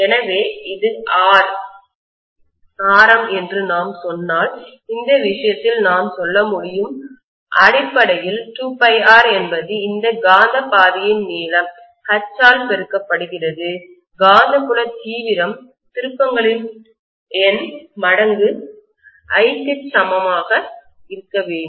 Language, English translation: Tamil, So I should be able to say in this case if I say that this is the radius R, I can say basically 2 pi R is the length of this magnetic path multiplied by H which is the magnetic field intensity should be equal to whatever is the number of turns times I